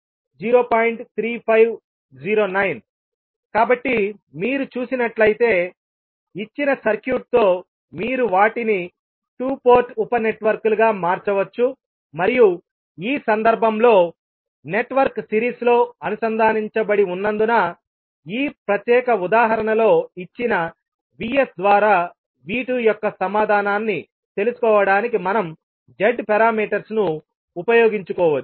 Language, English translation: Telugu, So you can see, with the given circuit you can convert them into two port sub networks and since in this case the network is connected in series, we can utilise the Z parameters to find out the answer that is V 2 by VS given in this particular example